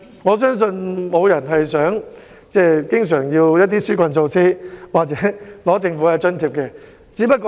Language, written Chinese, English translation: Cantonese, 我相信沒有人想經常要求一些紓困措施或申領政府的津貼。, I believe no one wants to often ask for some relief measures or claim government allowances